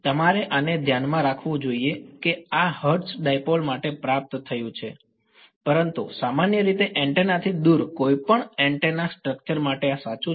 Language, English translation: Gujarati, So, you should keep this in mind this have derived for hertz dipole, but this is true for any antenna structure in general far away from the antenna